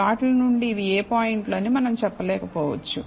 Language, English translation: Telugu, So, from the plot, we may not be able to tell which points are these